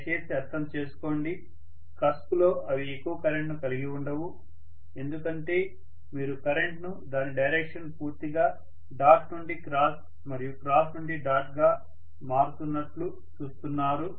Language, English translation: Telugu, Please understand that in the cusp, they are hardly going to have much of current because you are looking at the current completely changing its direction from dot to cross and cross to dot